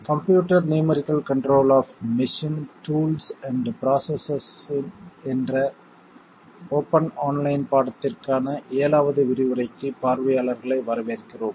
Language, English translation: Tamil, Welcome to the 6th lecture of the online course Computer numerical control of machine tools and processes